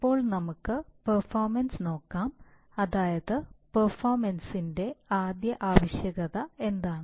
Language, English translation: Malayalam, Now let us look at performance, so what is the first requirement of performance